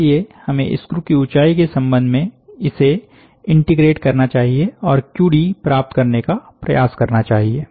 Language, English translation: Hindi, So, we must therefore, integrate over the height of the screw and try to get the QD